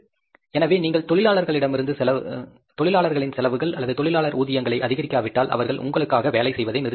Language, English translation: Tamil, So, if you don't increase the labor's expenses or labor wages, they'll stop working for you